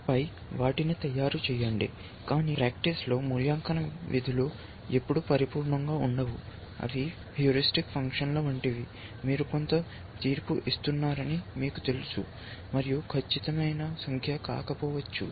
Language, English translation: Telugu, And then make them, but in practice, evaluation functions are never perfect, they are like heuristic functions, you know you are making some judgment, and arriving at some number that may not be accurate